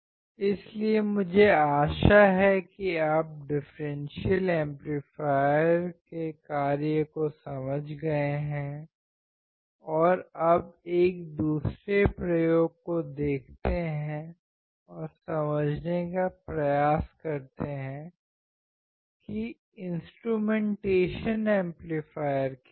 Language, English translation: Hindi, So, I hope that you understood the function of the differential amplifier and let us see another experiment and understand what are the instrumentation amplifier